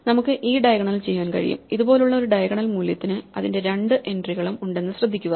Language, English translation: Malayalam, So, we can do this diagonal, now notice that any diagonal value like this one has both its entries